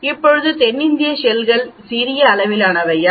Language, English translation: Tamil, Now are the South Indian barnacles of smaller size